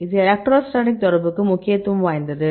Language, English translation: Tamil, So, here this is the importance of electrostatic interaction